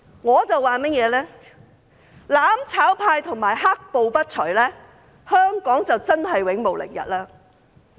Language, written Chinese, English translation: Cantonese, 我說，"攬炒派"和"黑暴"不除，香港便真是永無寧日。, According to me as long as the mutual destruction camp and black violence persist Hong Kong will really never have peace